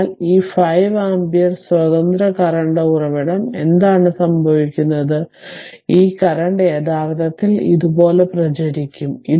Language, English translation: Malayalam, So, then what is happening this 5 ampere independent current source this current actually you will circulate like this right